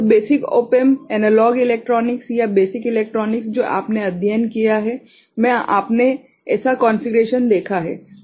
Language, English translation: Hindi, So, basic op amp, analog electronics or basic electronics that you have studied so, you have seen such configuration